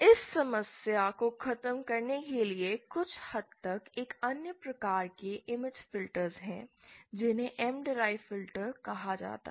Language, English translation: Hindi, To get over this problem, somewhat there is another type of image filters called M derived filters